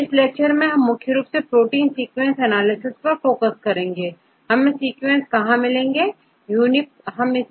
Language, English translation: Hindi, So, in this lecture we mainly focus on this protein sequence analysis, right where shall we get the sequence